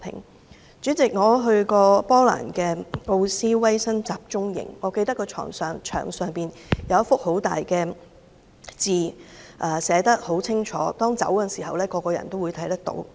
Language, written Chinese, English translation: Cantonese, 代理主席，我去過波蘭的奧斯威辛集中營，我記得有一大幅牆，牆上清楚寫着一些字，每個人離開的時候都會看到。, Deputy President I have visited the Auschwitz concentration camp in Poland . I remember that there is a large wall on which some words are clearly written to be seen by everyone leaving the camp after the visit